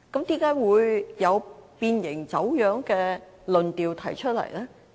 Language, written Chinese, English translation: Cantonese, 為何會有變形、走樣的論調提出來呢？, Why have they spoken out against the Basic Law being deformed or distorted?